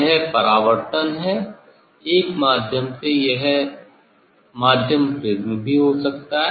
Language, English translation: Hindi, this is the reflection from a medium it can be prism also